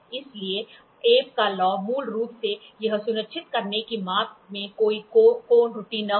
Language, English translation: Hindi, So, Abbe’s law is basically to make sure that there is no angle error in the measurement